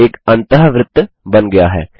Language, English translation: Hindi, An in circle is drawn